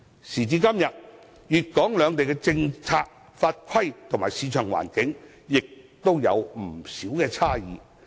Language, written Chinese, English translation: Cantonese, 時至今日，粵港兩地的政策法規及市場環境仍然有不少差異。, To date Hong Kong and Guangdong are still quite different in terms of policy legislation and market environment